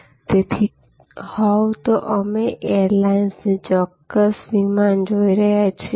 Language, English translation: Gujarati, So, if you are looking at airlines we are looking at a particular flight of an airline